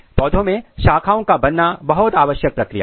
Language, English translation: Hindi, Branching is very important process in plants